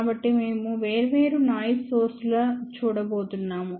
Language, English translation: Telugu, So, we are going to look at different noise sources